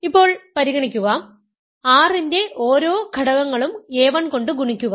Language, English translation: Malayalam, Now, consider, multiply each element of R, let say by a 1